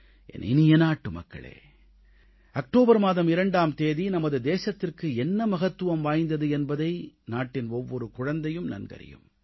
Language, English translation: Tamil, My dear countrymen, every child in our country knows the importance of the 2nd of October for our nation